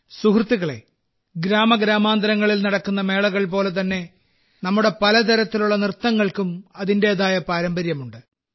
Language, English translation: Malayalam, Friends, just like the fairs held in every village, various dances here also possess their own heritage